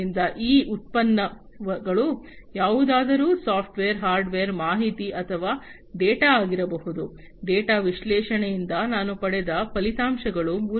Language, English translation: Kannada, So, these products can be anything software, hardware, information or the data, the results that I have obtained from the analysis of the data